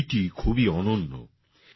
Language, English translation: Bengali, This book is very unique